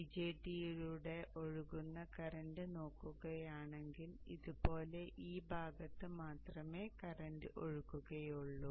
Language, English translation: Malayalam, If you look at the current flowing through the BJT, the BJT the current flows only during this portion